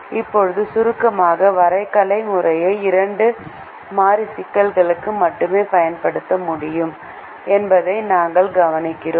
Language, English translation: Tamil, now, in summary, we observe that the graphical method can be used only for a two variable problem